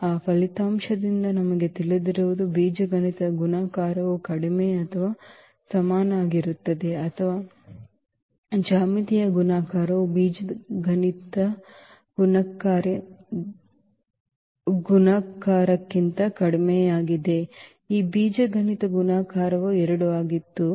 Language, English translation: Kannada, What we know from that result that algebraic multiplicity is less than or equal to the, or the geometric multiplicity is less than equal to the algebraic multiplicity that the algebraic multiplicity of this 2 was 2